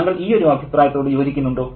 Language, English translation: Malayalam, So, do you agree with this opinion